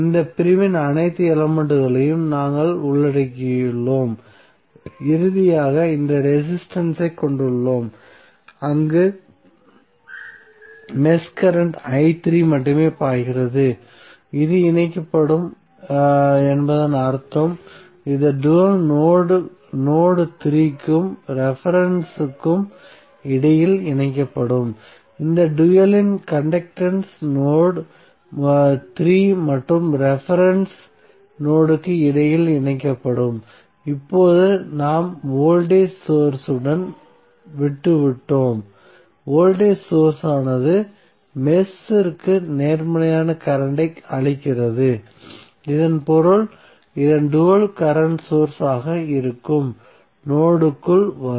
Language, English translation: Tamil, So we have covered all the elements of this segment, finally we are left with this resistance where only node the mesh current i3 is flowing, so it means that this would be connected the dual of this would be connected between node 3 and reference only, so the conductance of this dual would be connected between node 3 and reference node, now we have left with the voltage source, so voltage source is giving the positive current to this mesh so that means that the dual of this would be a current source which would be coming inside the node